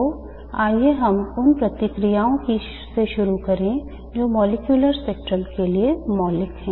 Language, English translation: Hindi, So let us start with the processes which are fundamental to molecular spectrum